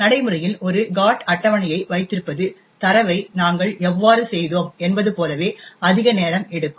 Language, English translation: Tamil, In practice having a GOT table just like how we have done with data is quite time consuming